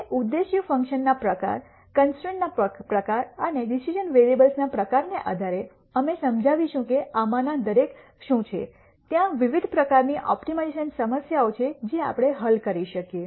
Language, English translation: Gujarati, Now, depending on the type of objective function, type of constraints and the type of decision variables, we will explain what each one of these are, there are different types of optimization problems that we could solve